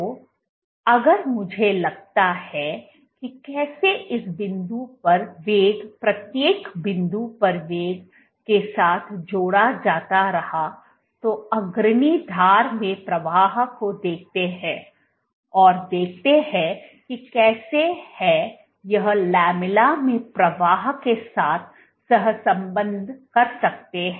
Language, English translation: Hindi, So, if I see that how is velocity at this point correlated with velocity at this point at each point I can see the flow in the leading edge and see how is it correlated with the flow in the lamella